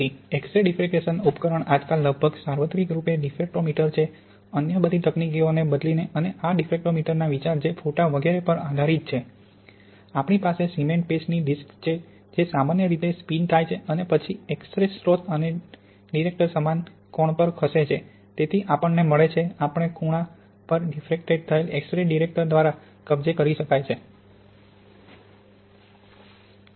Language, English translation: Gujarati, So the apparatus in X ray diffraction is nowadays almost universally the diffractometer which replaced all other techniques which are based on photos etc and the idea of this diffractometer is we have a disk of cement paste which is usually spinning and then X ray source and the detector move at the same angle, so we get, the X rays which are diffracted at a given angle can be captured by the detector